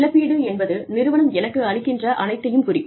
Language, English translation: Tamil, Compensation is all, that the organization, gives me